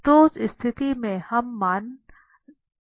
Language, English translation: Hindi, So, in that case this value will become 0